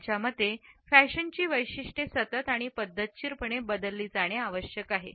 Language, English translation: Marathi, According to them fashion has to be characterized by continual and systematic change